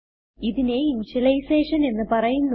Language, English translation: Malayalam, This is called as initialization